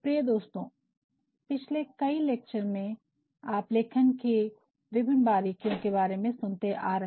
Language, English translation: Hindi, Dear, friends in all the previous lectures you have been listening to the various nuances of writing